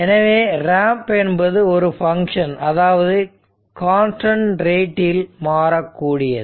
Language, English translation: Tamil, So, a ramp is a function that changes at a constant rate right